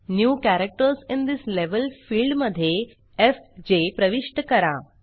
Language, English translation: Marathi, In the New Characters in this Level field, enter fj